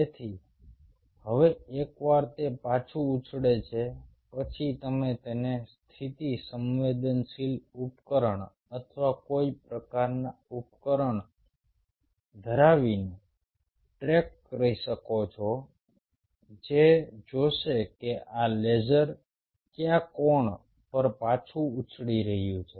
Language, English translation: Gujarati, so now, once it bounces back, you can track it by having a position sensitive device or some kind of a device here which will see at what angle this laser is bouncing back